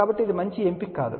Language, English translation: Telugu, So, this is not at all a good option, ok